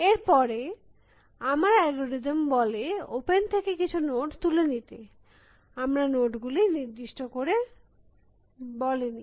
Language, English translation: Bengali, Then my algorithm says, pick some node from open, we have not specified which